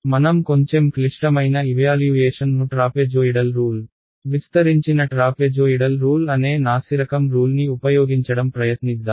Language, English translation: Telugu, Let us try a little bit more expensive evaluation, but using a inferior rule which is the trapezoidal rule, the extended trapezoidal rule